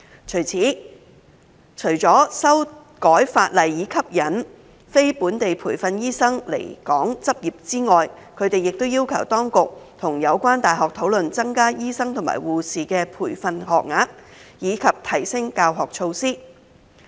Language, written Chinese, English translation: Cantonese, 就此，除了修改法例以吸引非本地培訓醫生來港執業之外，他們亦要求當局與有關大學討論增加醫生及護士的培訓學額及提升教學措施。, In this connection they also requested the Administration to discuss with the universities concerned increase in the number of training places of doctors and nurses as well as enhancement of their teaching facilities in addition to amending legislation to attract non - locally trained medical practitioners to come and practise in Hong Kong